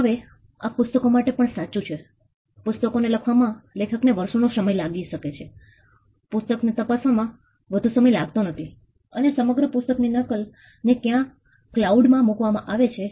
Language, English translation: Gujarati, Now this is also true for books, books may take an author may take years to write the book it does not take much to scan the book and put the copy of the entire pirated book somewhere in the cloud